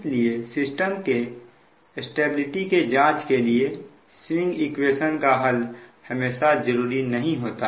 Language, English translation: Hindi, so, however, solution of swing equation is not always necessary right to investigate the system stability all the time